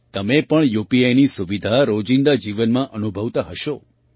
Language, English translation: Gujarati, You must also feel the convenience of UPI in everyday life